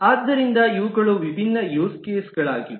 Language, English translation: Kannada, So these are the different use cases that exist